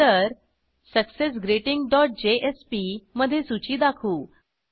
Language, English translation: Marathi, Then in successGreeting dot jsp we will display the list